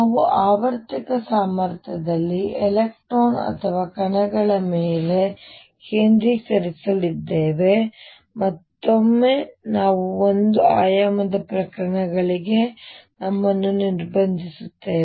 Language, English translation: Kannada, We are going to focus on electrons or particles in a periodic potential and again we will restrict ourselves to one dimensional cases